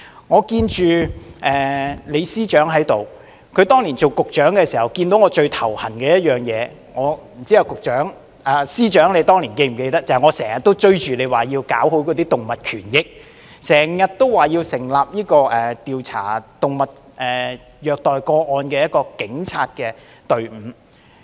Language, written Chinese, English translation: Cantonese, 我看到李司長在席，他當年擔任局長時看到我最感到頭痛的事情是——不知道司長是否記得——當年常常追着他要搞好動物權益，要求成立一個調查虐待動物個案的警察隊伍。, I see that Chief Secretary LEE is present . As a Director of Bureau at that time he felt most annoyed that―I wonder if the Chief Secretary still remembers this―I often pushed him for better animal rights and requested the establishment of designated police teams to investigate animal cruelty cases . In the eyes of many people this is actually not very important but in society people are becoming more and more concerned about animal rights